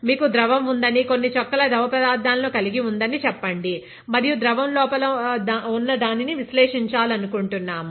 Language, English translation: Telugu, Let us say you have a liquid, drops few drops of liquid and you want to analyse what is there inside the liquid